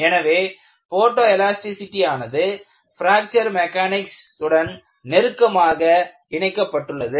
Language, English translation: Tamil, So, that is why I said, photoelasticity is very closely linked to development of Fracture Mechanics